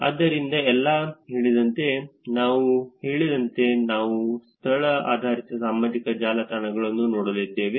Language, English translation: Kannada, So, as I said, we are going to look at location based social network